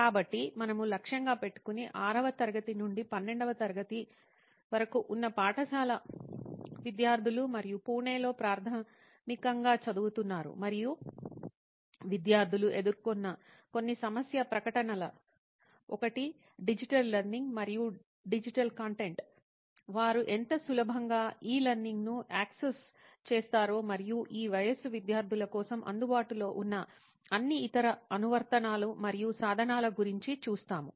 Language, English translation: Telugu, So what we will be targeting is school students from class 6th to class 12th and studying in Pune basically and few problem statements we have identified faced by the students are one is the access to digital learning and digital content, how easily they are accessible to e learning and all other applications and tools that are available for students of this age group